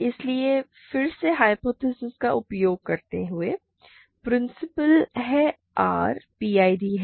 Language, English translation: Hindi, So, again using the hypotheses that I is principal or P is R is PID, I is principal